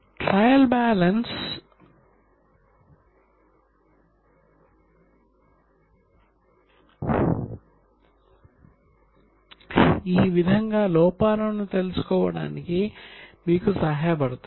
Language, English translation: Telugu, This is how trial balance helps you to find out the errors